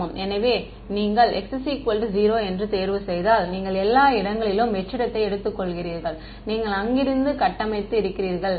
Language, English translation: Tamil, Yeah; so, if you choose x equal to 0 means you are assuming vacuum everywhere and you are building up from there